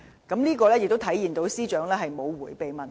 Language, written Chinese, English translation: Cantonese, 這亦顯示司長沒有迴避問題。, This also reflects the Secretarys boldness in facing the questions